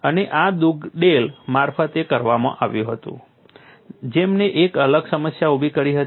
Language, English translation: Gujarati, And this was done by Dugdale who coined a different problem